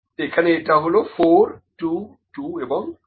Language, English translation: Bengali, So, this is 2, 2, 2 and 2